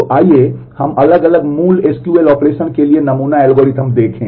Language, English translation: Hindi, So, let us look at sample algorithms for different basic SQL operation